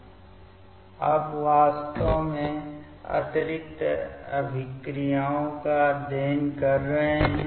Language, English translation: Hindi, Now, we are actually studying the addition reactions